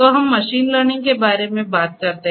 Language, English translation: Hindi, So, let us talk about machine learning